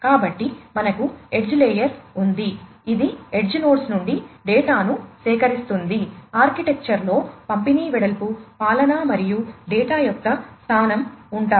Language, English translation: Telugu, So, we have the edge layer, which gathers data from the edge nodes, the architecture includes the breadth of distribution, governance, and location of the data